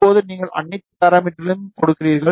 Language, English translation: Tamil, Now, you give all the parameters